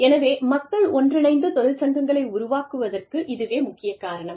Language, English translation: Tamil, So, this is the main reason, why people get together, and form unions